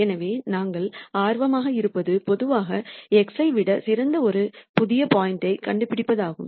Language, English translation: Tamil, So, what we are interested in is nding a new point which is better than x generally